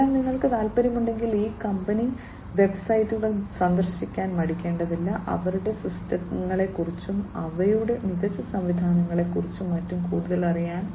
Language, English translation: Malayalam, So, if you are interested please feel free to visit these company websites to, to know more about their systems, their smarter systems, and so on